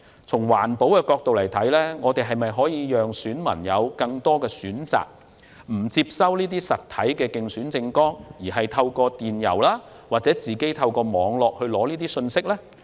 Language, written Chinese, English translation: Cantonese, 從環保角度考慮，我們可否向選民提供更多選擇，讓他們可以選擇不接收實體競選刊物，反而透過電郵或網絡取得相關信息？, From the perspective of environmental protection can we provide electors with more choices so that they can choose not to receive hard copies of election materials but obtain relevant information by email or on the Internet?